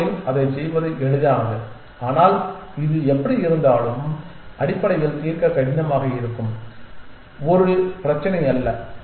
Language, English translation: Tamil, It is easy to do it on the board, but it not a problem that is hard to solve anyway essentially